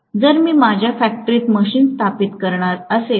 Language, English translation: Marathi, So, if I am going to install machines in my factory